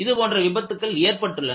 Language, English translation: Tamil, In fact, such accidents have happened